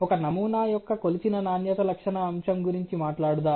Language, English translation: Telugu, Let us talk about let say the measured quality characteristic aspect on a sample